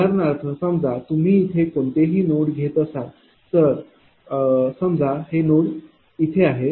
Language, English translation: Marathi, For example, you take any node suppose this is your some node right here